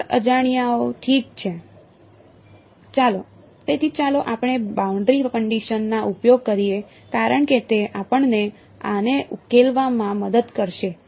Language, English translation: Gujarati, 4 unknowns alright; so, let us use the boundary conditions because that will help us to solve this